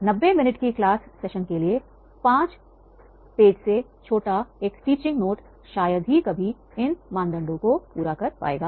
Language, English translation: Hindi, A teaching note shorter than five pages for a 90 minute class session rarely meets this criteria